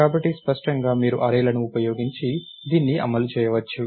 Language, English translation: Telugu, So, clearly you can implement this using arrays